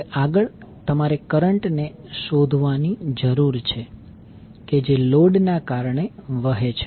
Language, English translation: Gujarati, Now, next is you need to find out the current which is flowing through the load